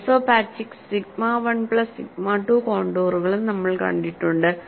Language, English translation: Malayalam, Now, we would also look at, what is the kind of isopachics, that is sigma 1 plus sigma 2 contours